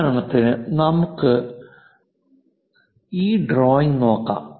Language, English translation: Malayalam, For example, let us look at this drawing